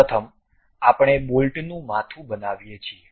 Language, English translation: Gujarati, First we construct head of a bolt